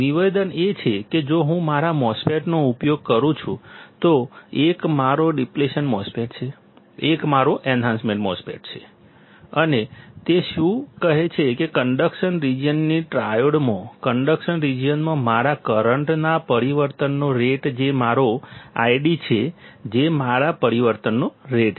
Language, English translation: Gujarati, The statement is if I use my MOSFET, 1 is my depletion MOSFET; 1 is my enhancement MOSFET and what it says that in conduction region triode, in conduction region my rate of change of current that is my I D that is my rate of change